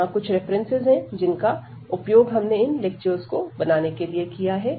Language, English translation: Hindi, So, these are the references we have used to prepare these lectures